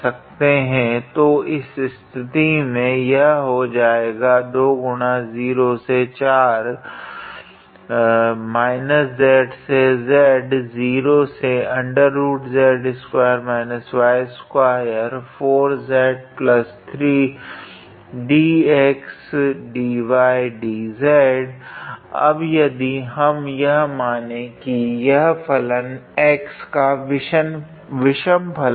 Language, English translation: Hindi, Now if we assume that our if so, this function basically is an odd function in x